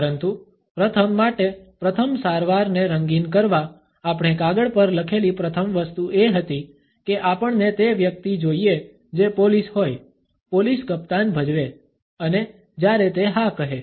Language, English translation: Gujarati, But coloring the first treatment for the first one, the first thing we wrote on paper was we want the guy who the police, to play the police captain (Refer Time: 10:38) and when he say yes